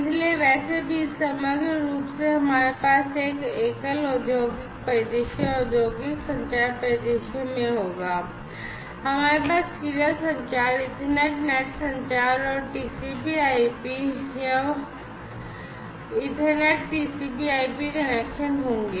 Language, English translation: Hindi, So, anyway so, holistically we will have in a single industrial scenario industrial communication scenario, we will have serial communication, Ethernet net communication, and TCP/IP, or rather Ethernet TCP/IP connections